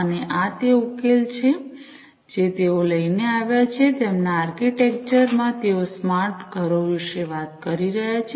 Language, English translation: Gujarati, And this is this solution they came up with, in their architecture they are talking about smart homes